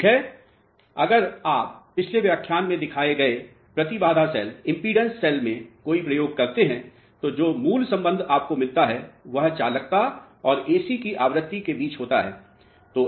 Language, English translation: Hindi, Well, if you conduct any experiment in a impedance cell as shown in the previous lecture, the basic relationship which you get is between the conductivity and the frequency of AC